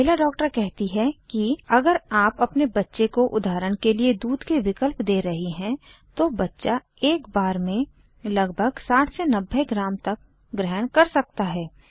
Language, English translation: Hindi, The lady doctor states that if youre formula feeding your baby like for eg:milk substitutes, then it will most likely take about 60 90 gm at each feeding